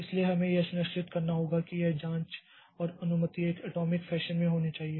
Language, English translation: Hindi, So, we have to ensure that this check and permission should be done in an atomic fashion